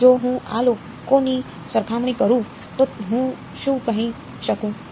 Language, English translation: Gujarati, So, if I just compare these guys what can I say